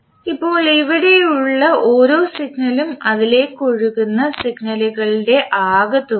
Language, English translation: Malayalam, Now each signal here is the sum of signals flowing into it